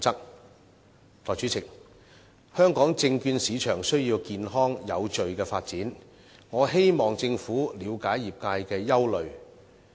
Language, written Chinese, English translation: Cantonese, 代理主席，香港證券市場需要健康有序的發展，我希望政府了解業界的憂慮。, Deputy President the securities market in Hong Kong needs to be developed in a healthy and orderly manner . I hope the Government understands the concerns of the trade